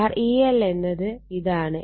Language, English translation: Malayalam, So, this is E 1 E 2